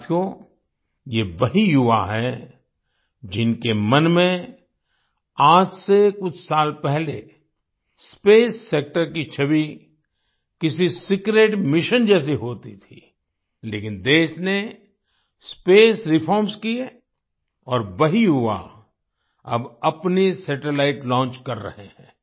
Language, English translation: Hindi, Friends, these are the same youth, in whose mind the image of the space sector was like a secret mission a few years ago, but, the country undertook space reforms, and the same youth are now launching their own satellites